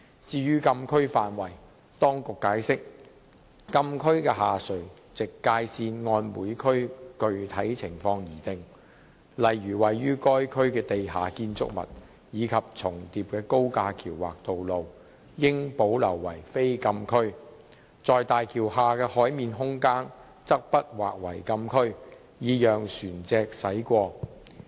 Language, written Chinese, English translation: Cantonese, 至於禁區範圍，當局解釋，禁區的下垂直界線按每區具體情況而定，例如位於該區的地下建築物及重疊的高架橋或道路，應保留為非禁區，在大橋下的海面空間則不劃為禁區，以讓船隻駛過。, As for the coverage of the Closed Areas the authorities explained that the lower vertical boundary of the closed area varied from one area to another depending on the specific circumstances of each area . For instance underground structures in the Closed Areas and overlapping viaducts or roads should remain non - closed area; and the sea space underneath HZMB must not be caught by the Closed Areas so that vessels could sail below and across it